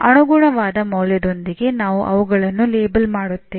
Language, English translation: Kannada, We label them with corresponding value